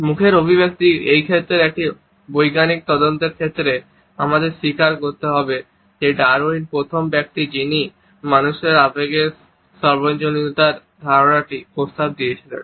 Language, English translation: Bengali, As for as a scientific investigation in this area of facial expressions was concerned, we have to acknowledge that Darwin was the first person to suggest the idea of the universality of human emotions